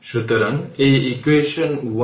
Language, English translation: Bengali, So, this is equation 10 right